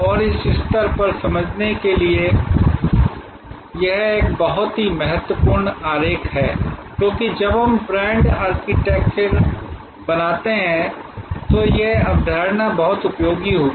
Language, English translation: Hindi, And this is a very important diagram to understand at this stage, because when we create the brand architecture this concept will be very useful